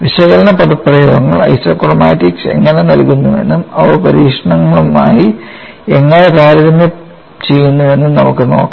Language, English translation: Malayalam, Let us see, how the analytical expressions provide the isochromatics and what way they compare with experiments